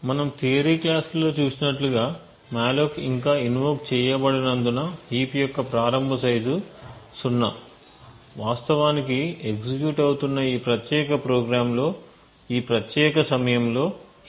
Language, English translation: Telugu, As we have seen in the theory classes since the malloc has not been invoked as yet, the initial size of the heap is 0, in fact there is no heap present in this particular program at this particular point during the execution